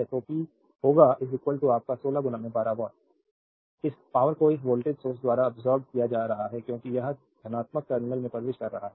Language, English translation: Hindi, So, p will be is equal to your 16 into 12 watt this power it is being absorbed by this voltage source because it is entering into the positive terminal right